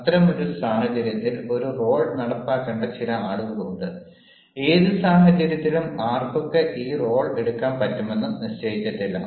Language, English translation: Malayalam, in such a situation, there are some people who will have to enact a role, and this role is not decided that anyone can take at any situation